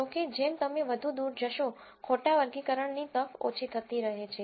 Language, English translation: Gujarati, However, as you go further away, the chance of miss classification keeps coming down